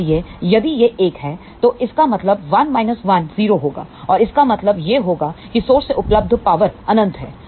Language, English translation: Hindi, So, if it is 1, what it would mean 1 minus 1 will be equal to 0 and that would imply that power available from the source is infinity